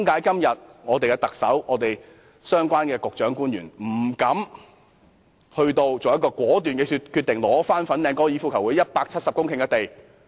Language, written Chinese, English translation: Cantonese, 為何特首、相關的局長和官員到今天亦不敢作出果斷的決定，收回粉嶺香港高爾夫球會170公頃的土地呢？, Why are the Chief Executive the relevant Bureau Directors and officials afraid of making a determined decision today on resuming the site of 170 hectares now being used by the Hong Kong Golf Club Fanling?